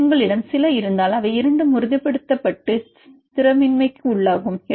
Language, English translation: Tamil, If you have some cases they will both stabilize and destabilize